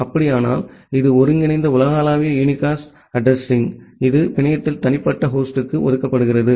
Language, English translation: Tamil, If that is the case then, it is the aggregatable global unicast address, which is assigned to individual host in the network